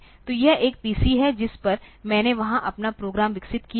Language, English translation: Hindi, So, this is a PC on which, I have developed my program there